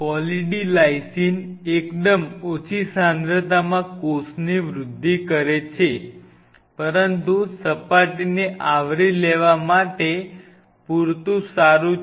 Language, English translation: Gujarati, Poly D Lysine at a fairly low concentration does promote cell growth, but good enough to make an almost like the surface coverage should be full